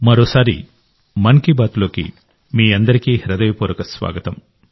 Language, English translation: Telugu, Once again, a very warm welcome to all of you in 'Mann Ki Baat'